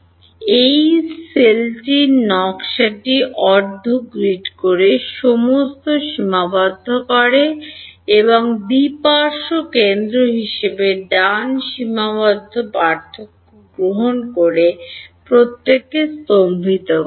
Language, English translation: Bengali, The design of this e cell by staggering everything by half a grid those finite and those taking finite difference as two sided center right